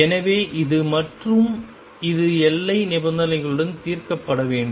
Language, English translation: Tamil, So, this is and this is to be solved with boundary conditions